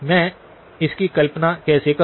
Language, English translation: Hindi, How do I visualize it